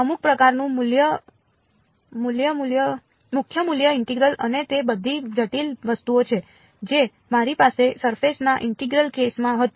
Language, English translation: Gujarati, Some kind of a principal value integral and all of those complicated things which I had in the surface integral case